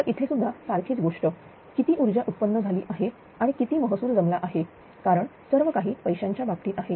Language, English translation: Marathi, So, here also same thing how much energy is generated and how much revenue is collected because everything actually matters in terms of money